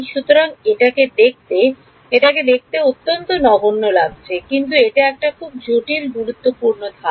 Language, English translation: Bengali, So, it looks it looks trivial, but this is an important step